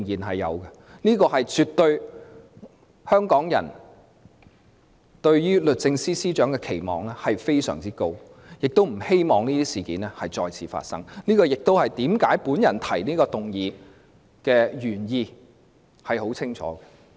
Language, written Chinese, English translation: Cantonese, 香港人對律政司司長期望極高，而且不希望這些事件再次發生，這亦是我提出這項議案的清晰原意。, Hong Kong people have high expectations of the Secretary for Justice and do not want these incidents to happen again . This is also my original intent to propose this motion